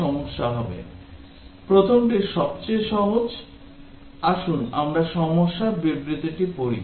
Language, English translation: Bengali, The first one is simplest, let us read through the problem statement